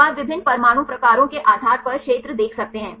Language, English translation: Hindi, So, you can see the area based on the different atom types